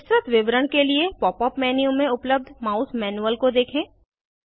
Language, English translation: Hindi, For a detailed description, refer to the Mouse Manual provided in the Pop up menu